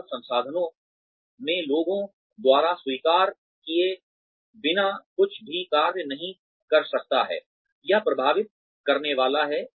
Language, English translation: Hindi, Nothing in human resources can function, without being accepted by the people, it is going to affect